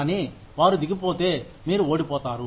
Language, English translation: Telugu, But, if they go down, you lose